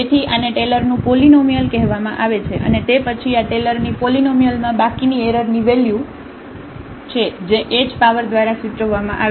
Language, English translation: Gujarati, So, this is this is called the Taylor’s polynomial and then this is the remainder the error term in this Taylor’s polynomial which is denoted by the h power